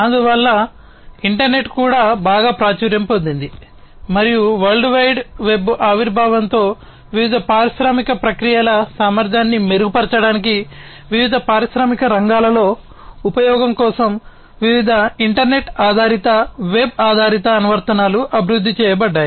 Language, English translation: Telugu, So, that is why the internet also became very popular and also with the emergence of the World Wide Web, different, you know, internet based or web based applications have been developed for use in the different industrial sectors to improve the efficiency of the different industrial processes